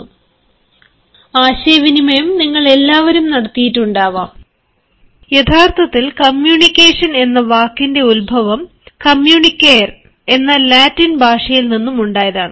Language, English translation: Malayalam, communication, as all of you might have come across, is a world which has been taken from the latin word communicate, which actually means to share, and when you share, you share an idea, you share some experience